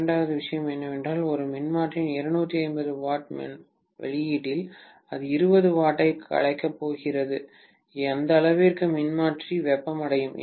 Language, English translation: Tamil, Second thing is if I know that out of the 250 watts output of a transformer, maybe it is going to dissipate 20 watts, to that extent the transformer will get heated up